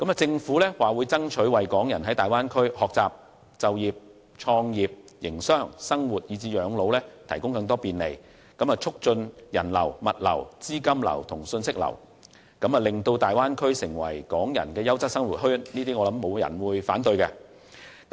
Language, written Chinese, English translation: Cantonese, 政府表示會爭取為港人在大灣區學習、就業、創業、營商、生活以至養老提供更多便利，促進人流、物流、資金流和信息流，使大灣區成為港人的優質生活圈，我相信沒有人會反對這些建議。, The Government will seek further facilitation measures for Hong Kong people to study work and start up and operate business live and retire in the Bay Area and thereby facilitating the flow of people goods capital and information between Hong Kong and other cities in the Bay Area and making a quality living circle for Hong Kong people . I think no one will object to these proposals